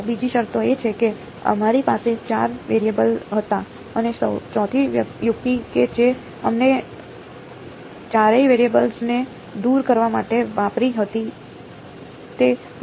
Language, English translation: Gujarati, The other condition is, the fine we had four variables and the fourth trick that we used to eliminate all four variables was that of